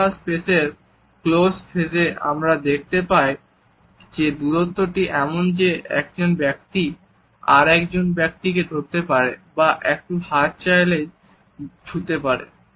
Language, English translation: Bengali, In the close phase of the personal space, we find that the distance is so, that a person can hold another person or can extend the arm to touch a person